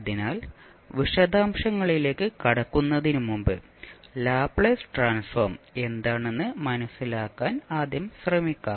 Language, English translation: Malayalam, So before going into the details, let's first try to understand what is Laplace transform